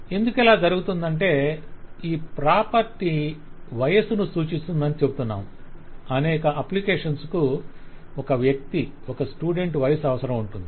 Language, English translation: Telugu, If you try to see the reason we are saying this property is age, For several application I will need to know what is the age of a person, age of a student